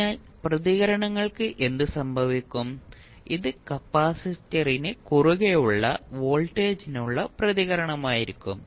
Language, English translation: Malayalam, So, what will happen the responses this would be the response for voltage at across capacitor